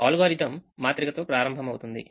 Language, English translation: Telugu, the algorithm is: start with the matrix first